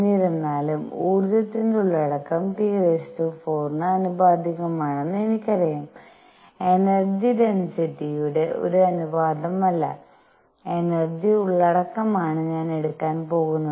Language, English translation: Malayalam, However, I know what the temperature dependence is the energy content is proportional to T raise to 4, mind you, I am not going to take a ratio of energy density, but energy content